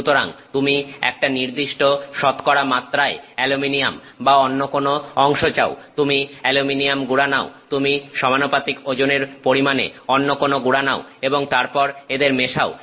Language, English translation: Bengali, So, you want aluminum with some percentage or some other component, you take aluminium powder, you take a proportional weight with respect to weight, you take a proportional amount of the other powder and then you mix them